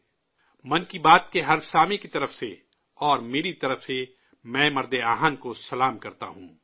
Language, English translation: Urdu, On behalf of every listener of Mann ki Baat…and from myself…I bow to the Lauh Purush, the Iron Man